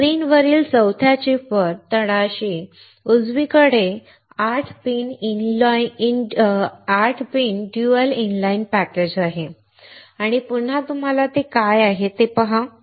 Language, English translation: Marathi, On the fourth chip on the screen, the bottom right is 8 pin dual inline package and again you see what is that